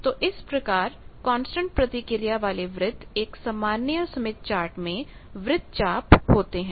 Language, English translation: Hindi, But, unlike in this constant reactance circles they are mostly going outside this standard smith chart